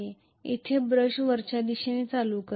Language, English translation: Marathi, So the brush here is going to carry current in upward direction